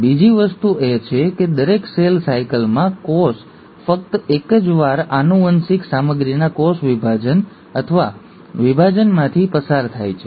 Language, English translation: Gujarati, The second thing is in every cell cycle, the cell undergoes cell division or division of the genetic material only once